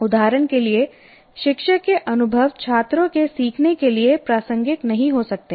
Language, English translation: Hindi, For example, teachers' experiences may not be relevant to students because he is a different human being